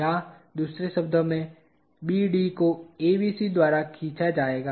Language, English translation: Hindi, Or, in other words BD will be pulled by ABC